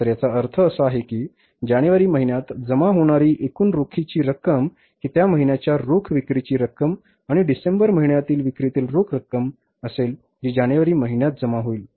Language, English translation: Marathi, So it means the total cash will come in the month of January will be cash from the cash sales and the cash from the December month sales which will be collectible in the month of January